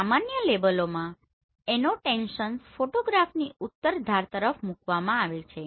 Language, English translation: Gujarati, In general labels an annotations are placed towards the northern edge of the photograph